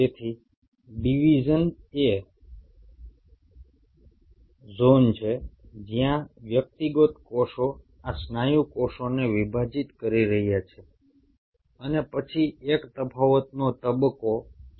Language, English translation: Gujarati, So division is the zone where these individual cells are dividing these muscle cells